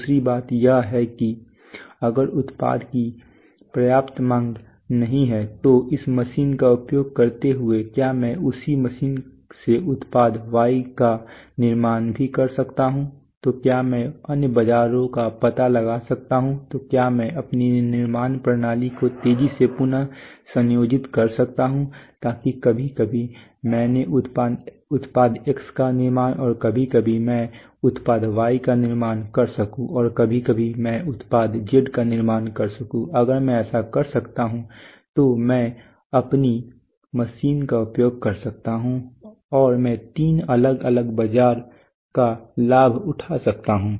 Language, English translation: Hindi, Secondly using this machine if there is not enough demand of product takes can I also manufacture product Y from the same machine so can I explore other markets, so can I rapidly reconfigure my manufacturing system so that sometimes I manufactured product X sometimes I manufactured product Y and sometimes I manufactured product Z, if I can do that then I can utilize my machine and I can take the benefit of three different markets